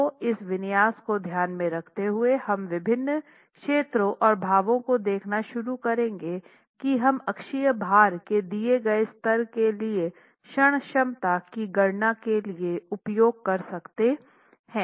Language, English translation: Hindi, Okay, so with this configuration in mind, please do keep this configuration in mind, we'll start looking at different zones and the expressions that we can use for the calculations of the moment capacity for a given level of axial load itself